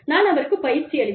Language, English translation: Tamil, I trained him